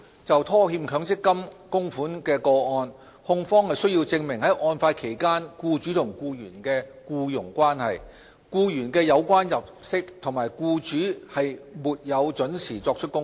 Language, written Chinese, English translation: Cantonese, 就拖欠強積金供款的個案而言，控方須證明案發期間僱主和僱員的僱傭關係、僱員的有關入息，以及僱主沒有依時作出供款。, In cases of default on MPF contributions the prosecution has to establish the relationship between the employer and the employee the relevant income of the employee and the failure of the employer to make contribution on time during the period of the default